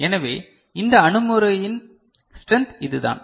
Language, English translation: Tamil, So, this is the strength of this approach